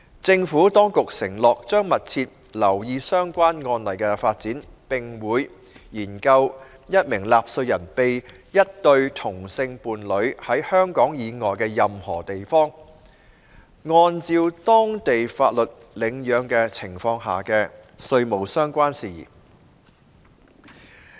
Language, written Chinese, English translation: Cantonese, 政府當局承諾，將密切留意相關案例的發展，並會研究一名納稅人被一對同性伴侶在香港以外的任何地方，按照當地法律領養的情況下的稅務相關事宜。, The Administration undertook to keep in view the development of any relevant case law and to look into the taxation - related issue in relation to a taxpayer who was adopted by a same - sex couple in any place outside Hong Kong according to the law of that place